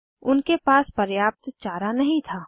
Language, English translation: Hindi, They did not have enough fodder